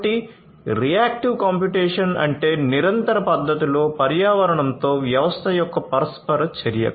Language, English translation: Telugu, So, reactive computation means interacts interaction of the system with the environment in a continuous fashion